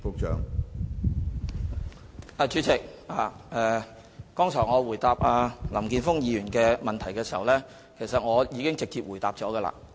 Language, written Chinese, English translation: Cantonese, 主席，我剛才回答林健鋒議員的補充質詢時，已經直接回答了有關問題。, President I already answered this question directly when I responded to Mr Jeffrey LAMs supplementary question a moment earlier